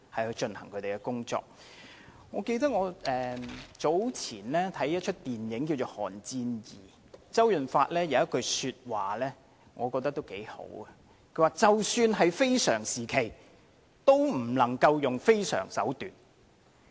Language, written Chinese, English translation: Cantonese, 我早前看了一齣名為"寒戰 II" 的電影，我認為當中周潤發有一句話也不錯，他說即使是非常時期，也不能用非常手段。, I have recently seen the movie Cold War II . I think some words said by CHOW Yun - fat in the movie are quite meaningful exceptional circumstances are no justifications for drastic means